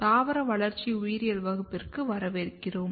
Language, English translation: Tamil, Welcome back to the Plant Developmental Biology